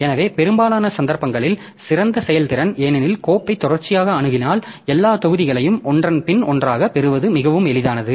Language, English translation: Tamil, So, best performance in most cases because if you are accessing the file sequentially it is very easy to get all the blocks one after the other